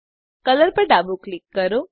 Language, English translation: Gujarati, Left click color